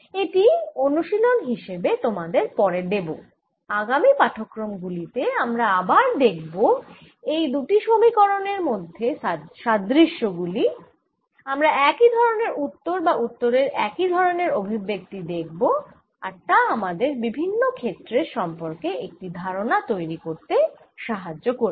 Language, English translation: Bengali, this i'll give as an exercise later and we will again see in coming lectures, that this kind of similarity of equations, these two same answers or same expressions for the answers, and that becomes a very useful way of visualizing different feels